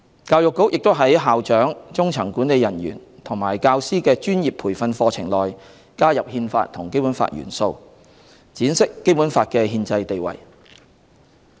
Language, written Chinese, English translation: Cantonese, 教育局也在校長、中層管理人員及教師的專業培訓課程內，加入《憲法》和《基本法》元素，闡釋《基本法》的憲制地位。, The Education Bureau has introduced into professional training programmes for principals middle managers and teachers elements of the Constitution and the Basic Law to elaborate on the constitutional status of the Basic Law